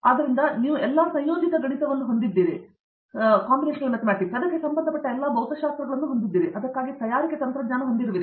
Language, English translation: Kannada, So, you have all the associated math and you have all the associated physics, along with the fabrication technology for that